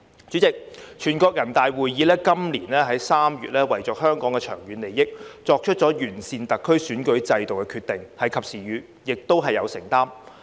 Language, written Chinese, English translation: Cantonese, 主席，全國人大會議在今年3月為香港的長遠利益，作出了完善特區選舉制度的決定，是及時雨，亦是有承擔。, President for the long - term interests of Hong Kong the National Peoples Congress made a decision which was timely and demonstrated its commitment at its meeting in March this year to improve the electoral system of the SAR